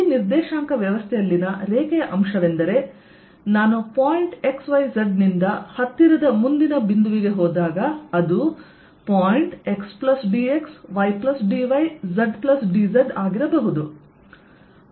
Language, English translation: Kannada, line element in this coordinate system is when i go from point x, y, z to a next point nearby, which could be x plus d, x, y plus d, y and z plus d z